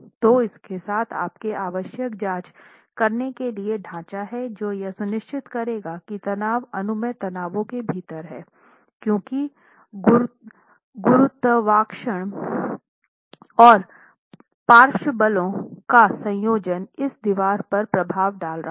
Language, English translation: Hindi, So with this, you have the framework required for making the necessary checks to ensure that the stresses are within the permissible stresses for a combination of gravity and lateral forces acting on the wall or acting on the structure itself